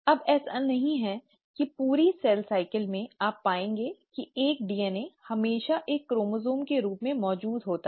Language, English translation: Hindi, Now it is not that throughout the cell cycle, you will find that a DNA always exists as a chromosome